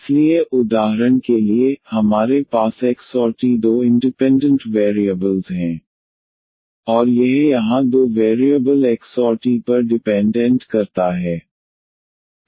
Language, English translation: Hindi, So, for instance here we have two independent variables the x and t and this we depends on two variables here x and t